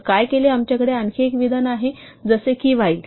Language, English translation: Marathi, So what we did was, we have another statement like for called while